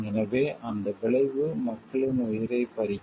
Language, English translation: Tamil, So, that consequence claiming the lives of the people